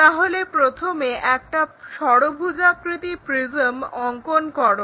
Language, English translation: Bengali, So, first draw a hexagonal prism